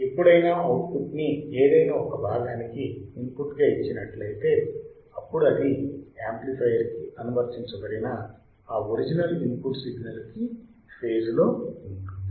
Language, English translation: Telugu, Whenever; the part of output that is fed and into the input is in phase with the original input signal applied to the amplifier